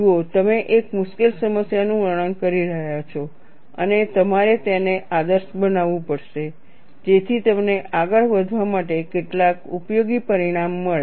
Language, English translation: Gujarati, See, you are charting a difficult problem and you have to idealize it, so that you get some useful result for you to proceed further